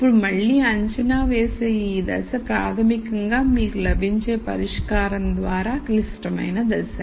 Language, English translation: Telugu, Now, again this step of assessing in the assumption which is basically through the solution that you get is a critical step